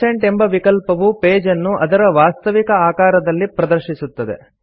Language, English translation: Kannada, 100% view will display the page in its actual size